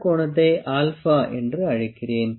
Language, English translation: Tamil, I call this angle as alpha